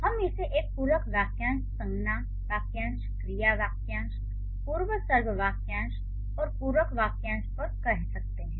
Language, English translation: Hindi, When we say it as, we can call it as complement phrase, noun phrases, verb phrases, prepositional phrases and complement phrases